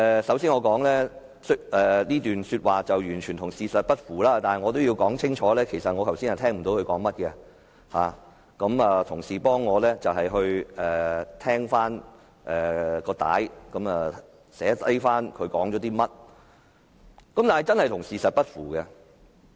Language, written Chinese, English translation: Cantonese, 首先，我要指出這段說話與事實完全不符，但我也要清楚表明，我剛才其實也聽不清楚他在說甚麼，是同事為我重聽錄音及記下這段說話，但這話真的與事實不符。, First of all I have to point out that such remarks are totally inconsistent with the truth but I also have to make it clear that I actually did not catch what he said then . My colleagues have listened to a replay of the audio recording and jotted down these remarks for me and they are really inconsistent with the truth